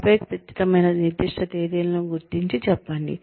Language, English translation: Telugu, And then identify, exact specific dates, and say